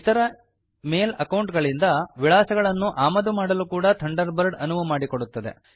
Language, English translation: Kannada, Thunderbird allows us to import contacts from other Mail accounts too